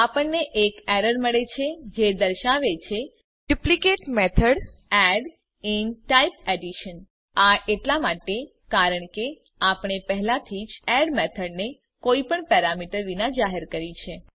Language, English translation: Gujarati, We get an error it states that duplicate method add in type addition This is because we have already declared a method add with no parameters